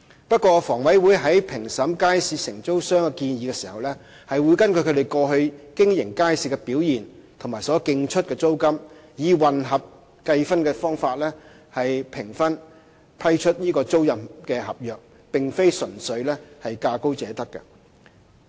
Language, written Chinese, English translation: Cantonese, 不過，房委會在評審街市承租商的建議時，會根據其過去經營街市的表現及所競出的租金，以混合計分的方法評分批出租賃合約，並非純粹價高者得。, In evaluating the proposals put forward by the operators however HA will having regard to their past performance in market operation and tendered rents use a mixed scoring system for such evaluation and award of tenancy agreements rather than granting the agreements to bidders offering the highest bids